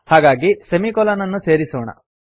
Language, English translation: Kannada, So let us add a semicolon